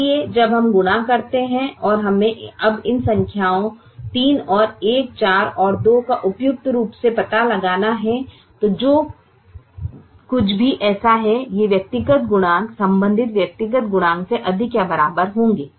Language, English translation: Hindi, so when we multiply and we have to now suitably find out these numbers three and one, four and two, whatever it be such that these individual coefficients will be greater than or equal to the corresponding individual coefficients